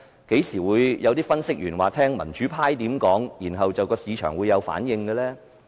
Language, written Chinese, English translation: Cantonese, 何時會有分析員說會聽民主派怎樣說，然後市場會有反應？, Is there any time analysts would say that the remarks of the pro - democracy camp cause market fluctuations?